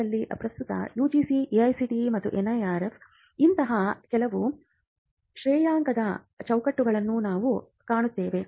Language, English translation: Kannada, In India currently we find that various regulators like the UGC, AICTE and some ranking frameworks like the NIRF